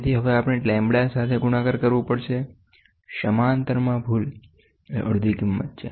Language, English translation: Gujarati, So now, we have to multiply with the lambda, the error in parallelism is half of it is value